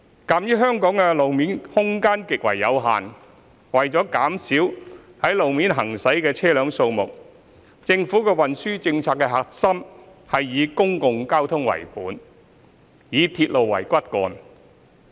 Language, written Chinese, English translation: Cantonese, 鑒於香港的路面空間極為有限，為了減少在路面行駛的車輛數目，政府運輸政策的核心是以公共交通為本，以鐵路為骨幹。, Given the very limited road space in Hong Kong and in order to reduce the number of vehicles using the road the essence of the Governments transport policy is to adopt public transport as the core with railway as the backbone